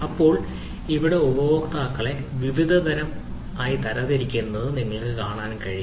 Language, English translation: Malayalam, you see, there customers can be categorized into different classes of customers